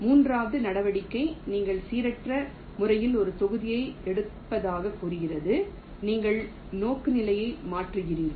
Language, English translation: Tamil, the third move says you pick up a block at random, you change the orientation